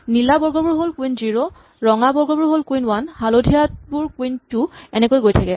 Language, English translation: Assamese, The blue squares are queen 0, the red squares are queen one, the yellow squares are queen two and so on